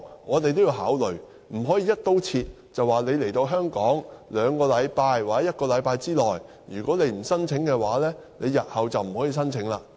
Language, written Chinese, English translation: Cantonese, 我們也要考慮這些情況，而不能"一刀切"規定他們來到香港兩星期或一星期之內提出申請，否則日後不能提出申請。, We have to take all of these situations into consideration . We should not adopt the across - the - board approach by requiring them to lodge their applications within two weeks or one week upon their arrival or else they would not be allowed to lodge an application in future